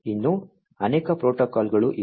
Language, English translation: Kannada, There are many other protocols that are also there